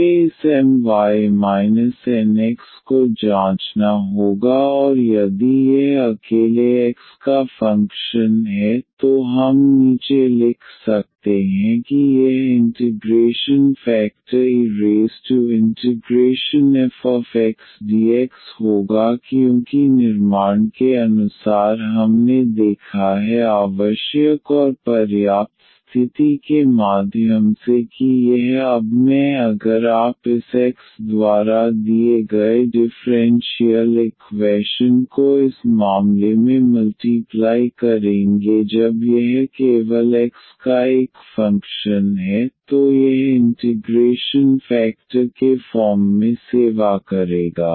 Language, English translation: Hindi, We have to check this M y minus nx over and if this is a function of x alone, then we can write down that this will be the integrating factor e power integral f x dx because as per the construction we have seen through the necessary and sufficient condition that this I will now if you multiply the given differential equation by this I x in this case when this is a function of x only, then this will be serving as the integrating factor